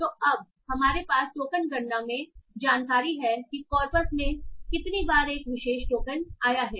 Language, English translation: Hindi, So now we have the information stored in the token count that how many times a particular token has occurred in the corpus